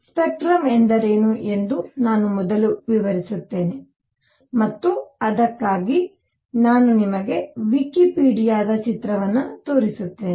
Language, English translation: Kannada, Let me first explain what do we mean by spectrum and for that I will show you a picture from Wikipedia